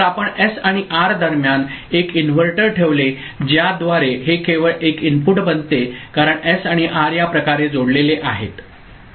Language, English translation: Marathi, So, you put an inverter between S and R by which these there becomes only one input to it because S and R are connected in this manner ok